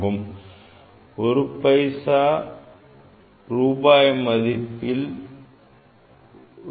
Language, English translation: Tamil, 100 paisa is equal to 1 rupee